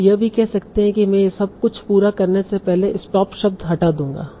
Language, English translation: Hindi, You can also say that I will remove stop words before computing all this